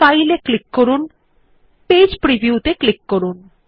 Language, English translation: Bengali, Now click on the File option and then click on Print